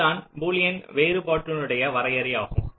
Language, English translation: Tamil, ok, this is the definition of boolean difference